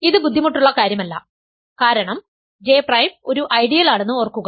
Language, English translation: Malayalam, And this is not difficult because remember J prime is an ideal